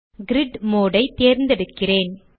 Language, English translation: Tamil, Let me choose grid mode